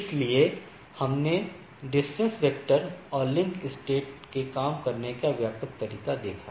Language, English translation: Hindi, So, what we I have seen that the broad way of how this distance vector and link state works